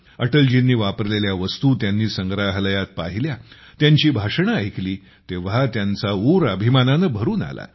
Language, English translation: Marathi, In the museum, when he saw the items that Atalji used, listened to his speeches, he was filled with pride